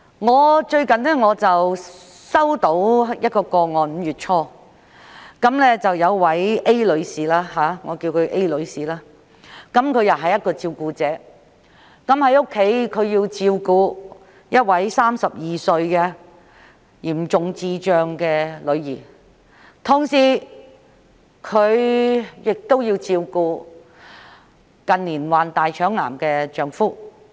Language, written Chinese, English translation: Cantonese, 我在5月初接獲一宗個案，當中一位女士——我們稱她為 A 女士——是一名照顧者，在家除要照顧一名32歲嚴重智障女兒外，亦須同時照顧近年罹患大腸癌的丈夫。, I received a case in early May in which a woman―we called her Ms A―was a carer . In addition to taking care of her 32 - year - old daughter with severe intellectual disabilities at home she also had to take care of her husband who has contracted colorectal cancer in recent years